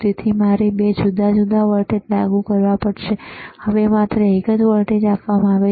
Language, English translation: Gujarati, So, I have to apply 2 different voltages right, now only one voltage is given right one signal is given,